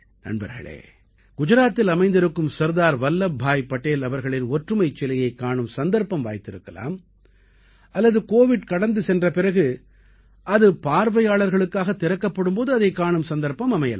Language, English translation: Tamil, Friends, if you have had the opportunity to visit the Statue of Unity of Sardar Vallabhbhai Patel in Gujarat, and when it opens after Covid Pandemic ends, you will have the opportunity to visit this spot